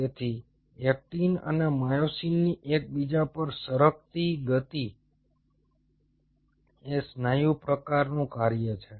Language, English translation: Gujarati, so this sliding motion of actin and myosin over one another is a function of the muscle type